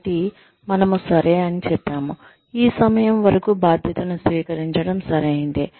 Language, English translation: Telugu, So, we say, yeah, it is okay, to take on the responsibility, up to this point